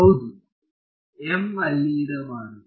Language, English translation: Kannada, Yeah, m should not be there ok